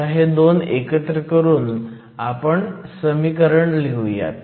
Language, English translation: Marathi, So, let me equate these 2 and write the expression